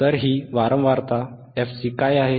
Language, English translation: Marathi, So, what is this frequency fc